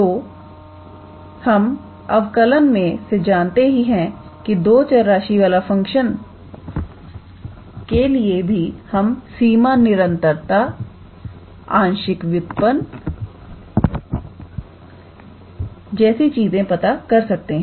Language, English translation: Hindi, So, we know from differential calculus that for the function of two variables as well we can be able to check its limit continuity, partial derivative things like that